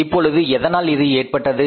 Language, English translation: Tamil, Now why it has happened